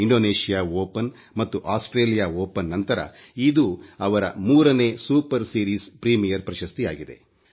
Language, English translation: Kannada, After Indonesia Open and Australia Open, this win has completed the triad of the super series premiere title